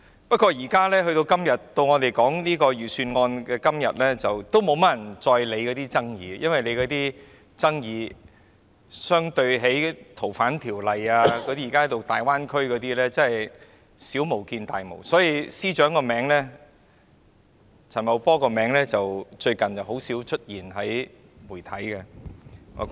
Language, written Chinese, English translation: Cantonese, 不過，在我們討論預算案的今天，已沒有多少人理會那些爭議，因為那些爭議相對於《逃犯條例》和大灣區等問題，確實是小巫見大巫，所以陳茂波司長的名字最近已很少在媒體出現。, Nonetheless on this day when we discuss the Budget not many people are concerned about these disputes for these disputes pale into insignificance against problems arising from the Fugitive Offenders Ordinance FOO and the Greater Bay Area . For this reason the name of the Financial Secretary Paul CHAN is seldom mentioned in the media recently